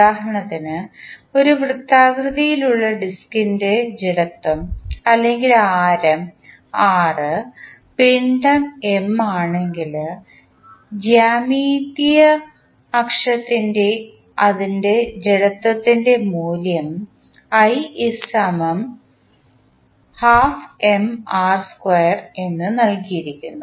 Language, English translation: Malayalam, So for instance, if the inertia of a circular disk or r shaft of radius r and mass M, the value of inertia about its geometric axis is given as, j is equal to half of M into r square